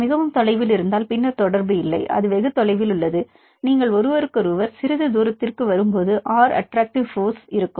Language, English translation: Tamil, Very distant then no interaction; that is very far, when you come close to each other to some distance R; then what will have, they have the attractive force